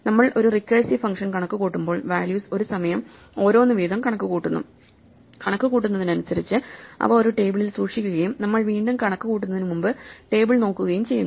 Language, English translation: Malayalam, Memoization is the process by which when we are computing a recursive function, we compute the values one at a time, and as we compute them we store them in a table and look up the table before we recompute any